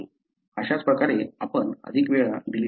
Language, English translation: Marathi, That is how more often you see deletions